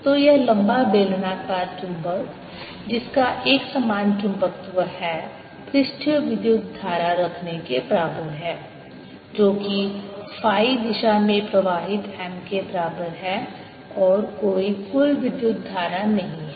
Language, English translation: Hindi, so this long, slender cylindrical magnet having uniform magnetization is equivalent to having surface current which is equal to m, flowing in phi direction and no bulk current